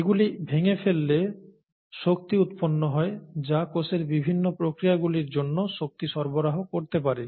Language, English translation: Bengali, A breakage of this would yield energy that can the fuel or that can provide the energy for the various cellular operations